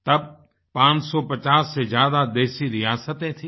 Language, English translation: Hindi, There existed over 550 princely states